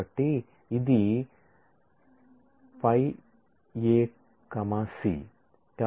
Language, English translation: Telugu, So, we say this is A C